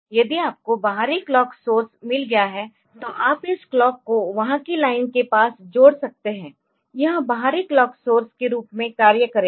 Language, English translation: Hindi, Then we have got clock in so, if you have got an external clock source, then you can connect this clock near the line there so, this will be acting as the external clock source